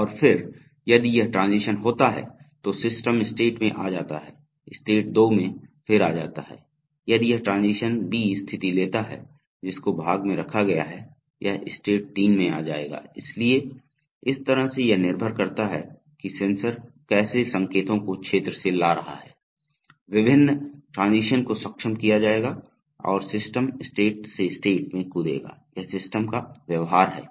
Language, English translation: Hindi, And then if this transition occurs then the system comes to state 2, in state 2 again if this transition B takes place whose condition is part placed, it will come to state 3, so in this way depending on how the sensors are bringing in signals from the field, the various transitions will be enabled and the system will hop from state to state, that is the behavior of the system